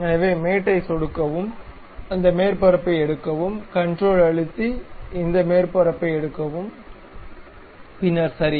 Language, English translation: Tamil, So, click mate, pick that surface, control, pick this surface, then ok